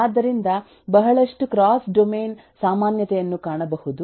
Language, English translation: Kannada, so there is a lot of cross domain commonality that can be found